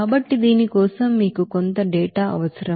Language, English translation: Telugu, So for this you need some data